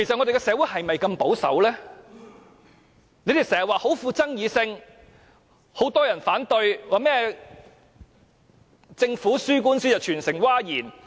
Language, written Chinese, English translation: Cantonese, 你們經常說這議題極富爭議性，很多人反對，說政府輸掉官司令全城譁然。, You always said that this issue is extremely controversial that many people are against it and that the Governments defeat in court has shocked the whole community